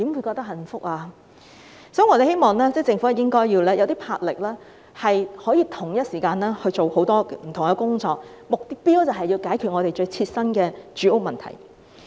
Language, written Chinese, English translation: Cantonese, 所以，我們希望政府要具魄力，可同時處理很多不同工作，目標就是要解決我們最切身的住屋問題。, Therefore we hope the Government will have the vigour to deal with different tasks at the same time . The objective is to resolve our most pressing housing problem